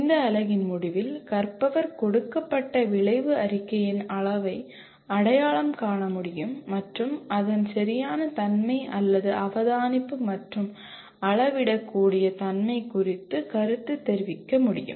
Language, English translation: Tamil, Then at the end of this unit the learner should be able to identify the level of a given outcome statement and comment on its appropriateness or observability and measurability